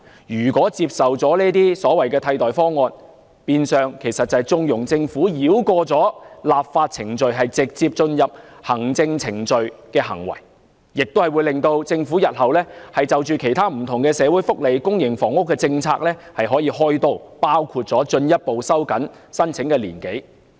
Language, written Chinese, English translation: Cantonese, 如果接受了這些替代方案，變相等於縱容政府繞過立法程序，直接進入行政程序的行為，亦會促使政府日後向其他不同的社會福利和公營房屋政策"開刀"，包括進一步收緊申請年齡。, If we accept these alternative proposals it would be tantamount to condoning the Government in bypassing the legislative procedures and jumping to administrative procedures direct . It will also prompt the Government to lay its hands on other various social welfare and public housing policies in the future including the further tightening of the eligibility age